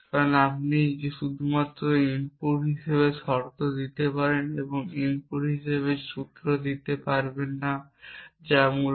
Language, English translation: Bengali, Because you can only give terms as inputs and cannot gave formulas as the input that essentially